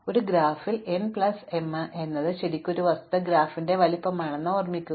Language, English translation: Malayalam, So, remember that in a graph n plus m is really a fact is the size of the graph